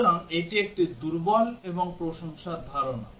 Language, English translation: Bengali, So, this is the notion of a weaker and complimentary